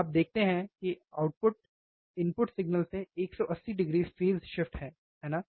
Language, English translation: Hindi, You see that the output is 180 degree phase shift to the input signal, isn't it